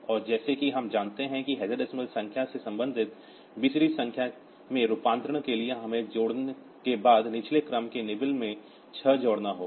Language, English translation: Hindi, And as we know that for this conversion from this from this hexadecimal number to the corresponding BCD number, so we have to add six to the lower order nibble after the addition